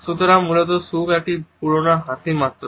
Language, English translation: Bengali, So, basically happiness is just a big old smile